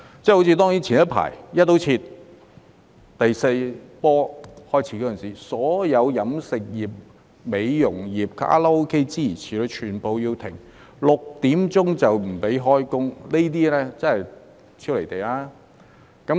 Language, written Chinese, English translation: Cantonese, 正如早前第四波疫情開始時，"一刀切"勒令所有飲食業、美容業、卡拉 OK 等全部要停業，下午6時後不准營業。, For example when the fourth wave of the epidemic began the Government adopted a broad - brush approach and ordered all catering beauty and karaoke businesses to suspend business after 6col00 pm